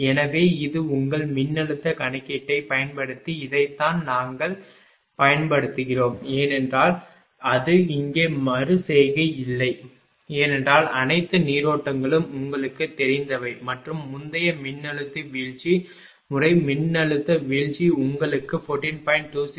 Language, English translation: Tamil, So, this one we got using this your what you call using that your voltage calculation because it is no iteration here because all currents are known to you and earlier for voltage drop method voltage drop how much you have got 14